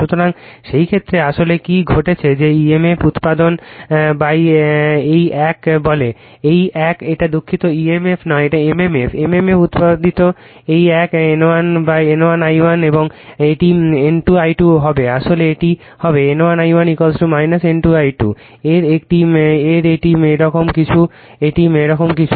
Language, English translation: Bengali, So, in that case what is actually what is happening that emf produce by this one say by this one it is it is sorry not emf, mmf; mmf produced by this one will be N 1 I 1 and, right and this one will be N 2 I 2 actually it will be N 1 I 1 is equal to minus of N 2 I 2 it is something like this it is something like this